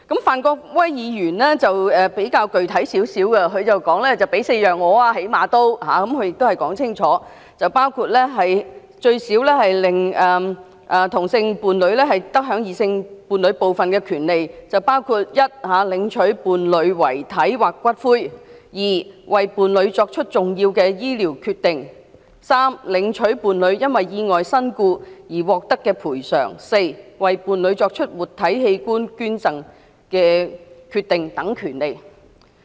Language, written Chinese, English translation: Cantonese, 范國威議員的修正案比較具體，他提出應最少給予4種權利，令同性伴侶最少得享異性伴侶部分的權利，包括第一，領取伴侶遺體或骨灰；第二，為伴侶作出重要醫療決定；第三，領取伴侶因意外身故而獲得的賠償；及第四，為伴侶作出活體器官捐贈的決定等權利。, Mr Gary FANs amendment is more specific he proposes that same - sex partners should at least enjoy four kinds of the rights available to heterosexual couples including the rights to collect their partners dead bodies or cremated ashes make important medical decisions on their partners behalf receive the compensation paid to their partners who died in accidents and make decisions on living donation for their partners